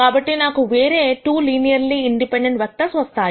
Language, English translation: Telugu, So, I get 2 other linearly independent vectors